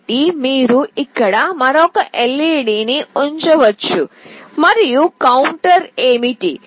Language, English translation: Telugu, So, you can put another LED here and what will be the counter